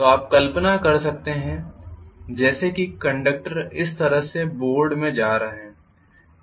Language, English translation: Hindi, So you can imagine as though the conductors are going in to the board like this